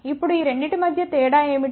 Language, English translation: Telugu, Now what is the difference between these 2 them